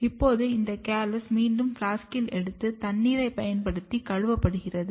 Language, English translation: Tamil, Now, this callus is taken again in the flask and washed using water